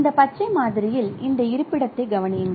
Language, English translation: Tamil, So, in this green sample particularly note this location